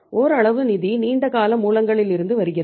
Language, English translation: Tamil, Partly the funds are coming from long term sources